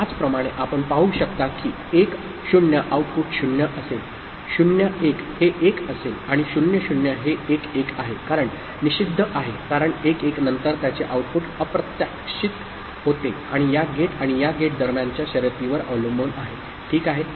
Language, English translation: Marathi, Similarly you can see 1 0 will be output will be 0, 0 1 will be 1, and 0 0 is 1 1 because is forbidden because after that if 1 1 follows its output becomes unpredictable and depends on the race between this gate and this gate, ok